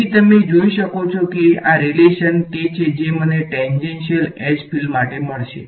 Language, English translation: Gujarati, So, you can see that this relation is what I will get for tangential H fields